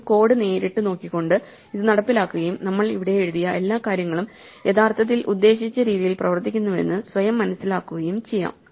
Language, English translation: Malayalam, Let us just look at the code directly and execute it and convenience ourselves that all the things that we wrote here actually work as intended